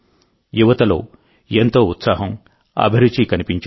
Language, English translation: Telugu, A lot of enthusiasm was observed in the youth